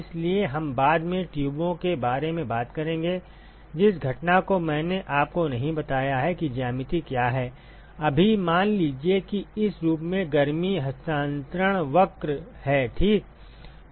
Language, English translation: Hindi, So, we will talk about tubes later the event I have not told you what a geometry is; right now, assume that heat transfer curve in this form it is alright